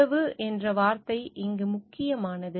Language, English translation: Tamil, The word relationship is important over here